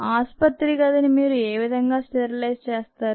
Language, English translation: Telugu, how do you sterilize a hospital room